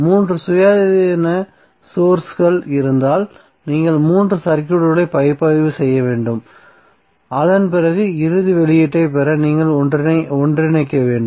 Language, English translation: Tamil, Suppose if there are 3 independent sources that means that you have to analyze 3 circuits and after that you have to combine to get the final output